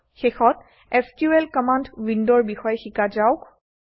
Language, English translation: Assamese, Finally, let us learn about the SQL command window